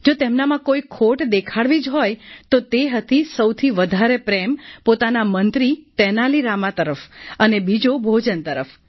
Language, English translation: Gujarati, If at all there was any weakness, it was his excessive fondness for his minister Tenali Rama and secondly for food